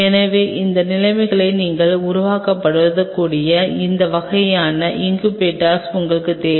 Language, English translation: Tamil, So, you needed incubators of that kind where you can simulate those conditions